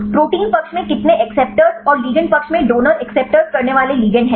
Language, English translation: Hindi, How many acceptor in the protein side and how ligands donor acceptors in the ligand side